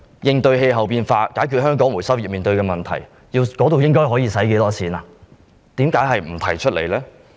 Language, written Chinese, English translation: Cantonese, 應對氣候變化，解決香港回收業面對的問題，花費多少錢，為何隻字不提？, How come nothing has been mentioned in the Budget about the amount to be spent on responding to climate change and solving the problems faced by the recycling industry in Hong Kong?